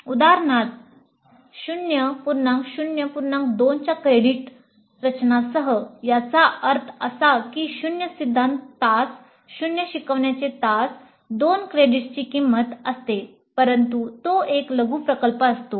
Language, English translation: Marathi, For example with a credit structure of 0 0 0 2 that means 0 3 hours, 0 tutorial hours, 2 credits worth but that is a mini project